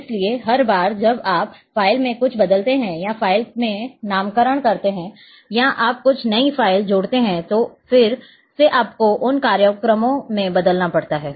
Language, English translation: Hindi, So, every time you change something in the file or naming in the file or you add some new file then again in the programs you have to change